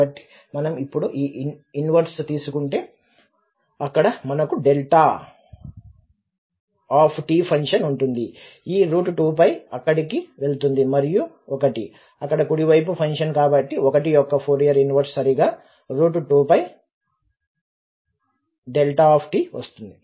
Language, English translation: Telugu, So, if we take this inverse now, so we have the delta function there, delta t, this square root 2 pi can go there and the Fourier Inverse of 1